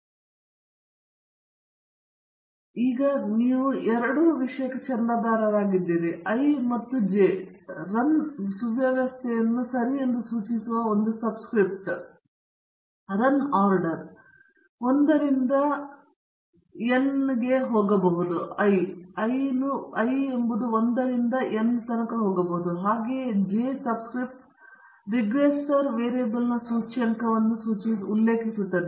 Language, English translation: Kannada, So, you have now two subscripts i and j; one subscript referring to the run order okay; i is the run order, you can go from 1 to n and the j subscript referring to the index of the regressor variable okay